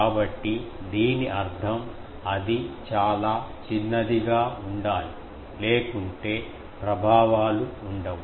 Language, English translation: Telugu, So that means, it should be quite small otherwise, there will be, the effects would not be there